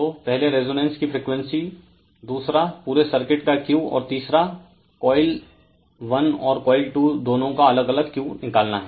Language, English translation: Hindi, So, determine the frequency of the resonance that is first one; second one, Q of the whole circuit; and 3 Q of coil 1 and Q of coil 2 individually